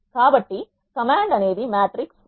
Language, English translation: Telugu, These are the examples of matrices